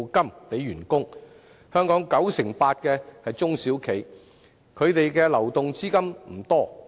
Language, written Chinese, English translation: Cantonese, 佔本港市場 98% 的中小企，流動資金不多。, SMEs accounting for 98 % of the Hong Kong market do not have a lot of liquid capital